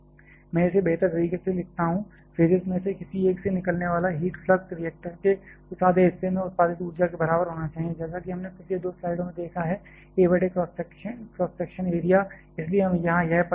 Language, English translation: Hindi, Let me write it in a better way, the heat flux coming out of one of the from the phases should be equal to the energy produced in that half of the reactor that is, as we have seen in two previous slide to a divided by the cross section area; that is why we are having this term here